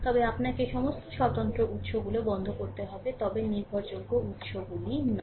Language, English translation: Bengali, But you have to turn off all independent sources, but not the dependent sources right